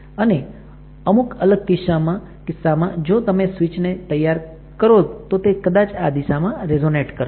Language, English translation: Gujarati, In some of the cases when you develop the switch, it will resonate in this direction